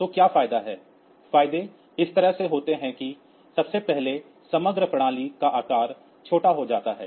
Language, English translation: Hindi, So, what are the advantage; advantages are like this that first of all the overall system size becomes small